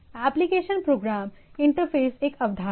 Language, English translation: Hindi, And there is concept of Application Program Interface